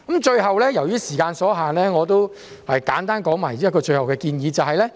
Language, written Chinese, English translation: Cantonese, 最後，由於時間所限，我簡單說出最後的建議。, Finally due to the time constraint I would like to briefly state my last suggestion